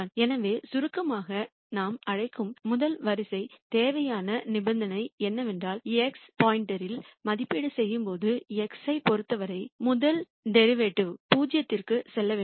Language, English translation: Tamil, So, in summary the rst order necessary condition as we call it is that the first derivative with respect to x when evaluated at x star has to go to 0